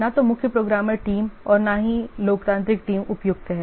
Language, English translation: Hindi, Neither the chief programmer team nor the democratic team is suitable